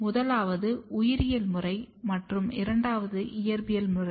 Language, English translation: Tamil, The first is the biological method and the second is the physical method